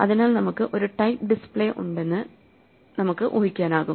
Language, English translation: Malayalam, So we can imagine that we have some kind of a display